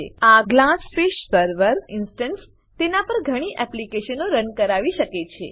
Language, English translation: Gujarati, This Glassfish server instance may have many applications running on it